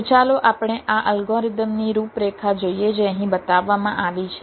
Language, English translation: Gujarati, so let us look into the outline of this algorithm which has been shown here